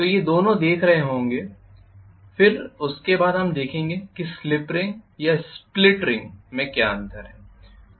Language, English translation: Hindi, So these two will be looking at, then after that we will be looking at exactly what is the difference between slip rings and split rings